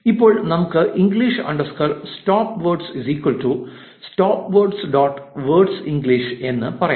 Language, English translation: Malayalam, Now, let us say english underscore stopwords is equal to stopwords dot words english